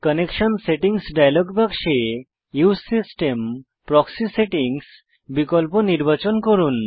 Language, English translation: Bengali, In the Connection Settings dialog box, select the Use system proxy settings option